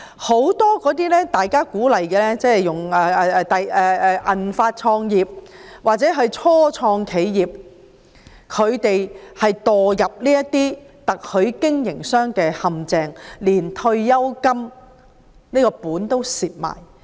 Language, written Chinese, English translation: Cantonese, 很多受鼓勵創業的人，例如"銀髮創業"或初創企業者紛紛墮入特許經營的陷阱，連退休金都蝕掉。, Many people who are encouraged to start a business such as those who belong to the silver - haired generation or first - time entrepreneurs have fallen into the franchising traps and some of them have lost all their pensions